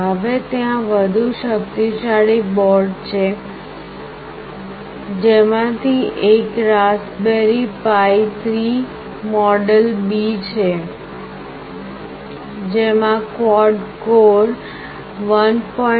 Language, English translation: Gujarati, Now, there are even more powerful boards one of which is Raspberry Pi 3 model B, which consists of quad core 1